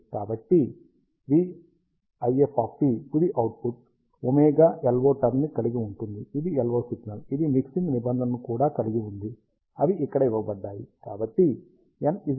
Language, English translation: Telugu, So, the v IF of t, which is the final output contains the omega LO term, which is the LO signal, it also contains mixing terms, which are given as here